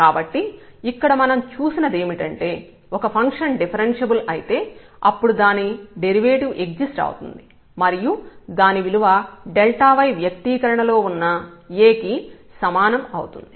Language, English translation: Telugu, So, what we have seen that if the function is differentiable then the derivative exist and that derivative is equal to A, this is given in this expression of delta y